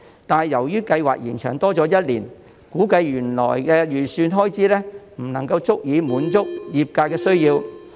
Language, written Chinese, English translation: Cantonese, 但是，由於計劃延長一年，估計原來的預算開支不足以滿足業界的需要。, However given the one - year extension of the schemes it is anticipated that the original estimated expenditure will not suffice to satisfy the industrys needs